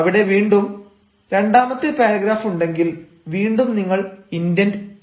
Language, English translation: Malayalam, if there again there is second paragraph, again you have to indent